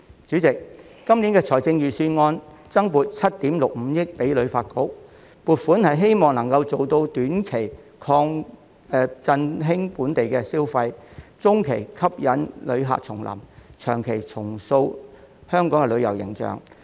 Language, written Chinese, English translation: Cantonese, 主席，今年財政預算案增撥了7億 6,500 萬元予香港旅遊發展局，希望能夠做到短期振興本地消費、中期吸引旅客重臨、長期重塑旅遊形象。, President this years Budget has earmarked 765 million for the Hong Kong Tourism Board HKTB with a short - term goal of boosting local consumption a medium - term goal of bringing back visitors and a long - term goal of reinventing Hong Kongs tourism brand